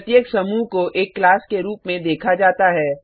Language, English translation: Hindi, Each group is termed as a class